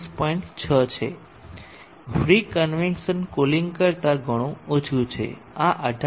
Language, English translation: Gujarati, 6 much lower than the free convection cooling this reaches around 18